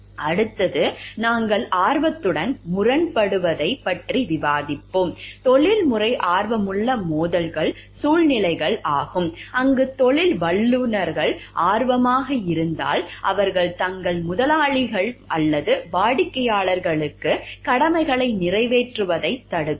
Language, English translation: Tamil, Next we will discuss about conflict of interest, professional conflicts of interest are situations, where professionals has an interest that if pursued might keep them from meeting their obligations to their employers or clients